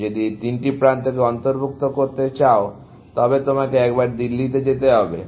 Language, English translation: Bengali, If you are going to include these three edges, then you have to visit Delhi once